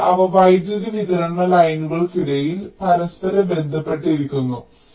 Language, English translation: Malayalam, so they are interspaced between power supply lines